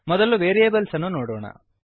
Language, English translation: Kannada, First lets look at variables